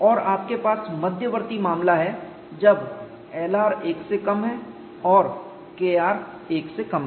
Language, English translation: Hindi, And you have intermediate case when L r is less than 1 and K r is less than 1